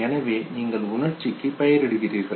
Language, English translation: Tamil, So you have labeled the emotion